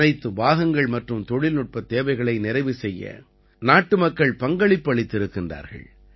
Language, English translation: Tamil, Many countrymen have contributed in ensuring all the parts and meeting technical requirements